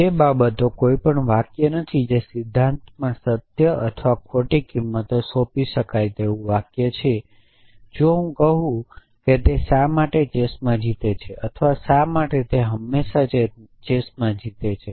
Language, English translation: Gujarati, Those things are not sentences anything which in principle can be assigned a truth or false value is a sentence if I say why it wins in chess or why it always wins in chess